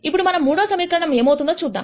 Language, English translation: Telugu, Now, let us see what happens to the third equation